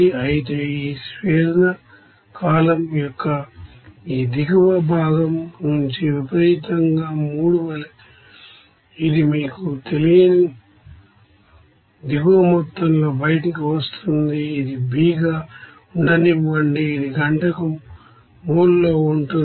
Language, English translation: Telugu, Whereas from this bottom part of this distillation column as is extreme 3 it will be coming out with a bottom amount that is unknown to you that is let it be B, this is in mole per hour